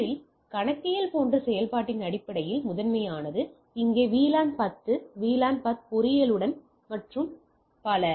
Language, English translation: Tamil, First one is most on based on functionality like here that accounting, here also VLAN 10 here also VLAN 10 engineering and so and so forth